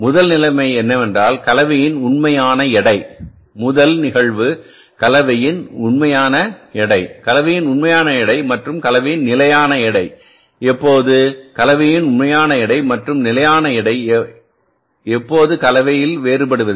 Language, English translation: Tamil, The first situation is when the actual weight of the mix first case when the actual weight of mix and the actual weight of the mix and the standard weight of the mix, do not differ